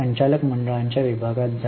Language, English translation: Marathi, Go to the board of directors section